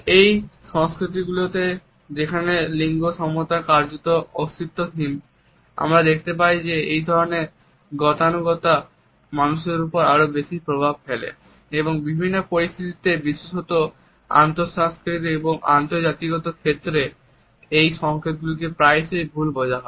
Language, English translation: Bengali, In those cultures, when the gender equality is practically nonexistent we find that these stereotypes have a greater hold on people and in different situations a particularly in intercultural and interracial situations, these signals can often be misread